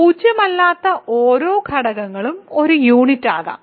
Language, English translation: Malayalam, Every non zero element can be a unit